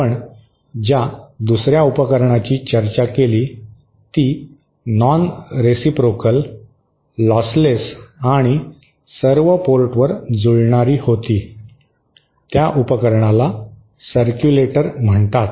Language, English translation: Marathi, The 2nd device which we discussed was nonreciprocal, lossless and matched at all ports, that device was called a circulator